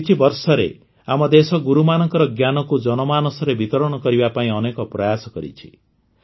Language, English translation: Odia, In the last few years, the country has made many efforts to spread the light of Gurus to the masses